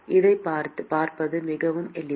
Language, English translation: Tamil, It is very simple to see this